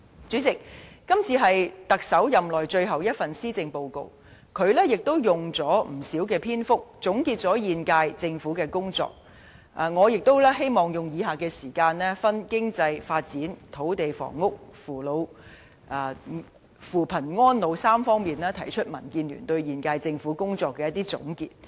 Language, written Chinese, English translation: Cantonese, 主席，今次是特首任內最後一份施政報告，他也花了不少篇幅總結現屆政府的工作，我也希望利用餘下時間，分別以經濟發展、土地房屋、扶貧安老3方面提出民建聯對現屆政府工作的一些總結。, President this is the last Policy Address by the Chief Executive . He has spent a lot of paragraphs concluding the jobs done by the present Government . In the rest of my speech I also wish to provide DABs summary of the existing Governments performance from three aspects of economic development land and housing as well as poverty alleviation and elderly care